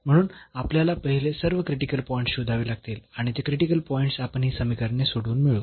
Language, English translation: Marathi, So, we need to find first all the critical points and those critical points we will get by solving these equations